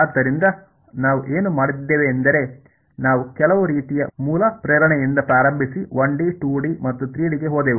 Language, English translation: Kannada, So, what we have done is we started with some kind of basic motivation and went on to 1 D,2 D and 3 D